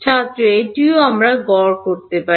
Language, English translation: Bengali, That also we can average